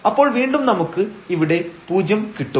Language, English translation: Malayalam, So, this will be 0 and this is again here 0